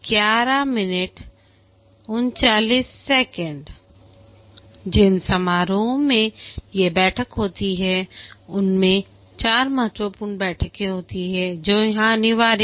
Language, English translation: Hindi, The ceremonies, these are the meeting, there are four important meetings that are mandated here